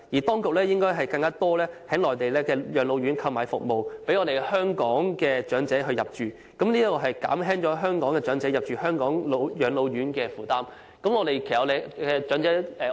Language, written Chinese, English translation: Cantonese, 當局應該在內地護老院購買更多宿位，讓香港長者入住，此舉可以減輕香港長者入住香港護老院舍的負擔。, The authorities should buy more places from residential care homes for the elderly on the Mainland to provide accommodation for Hong Kong elderly people . This can alleviate the burden on Hong Kong elderly people in need of accommodation in Hong Kongs residential care homes